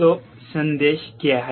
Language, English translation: Hindi, so what is the message